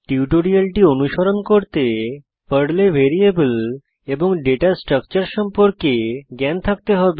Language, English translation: Bengali, To practise this tutorial, you should have knowledge of Variables Data Structures in Perl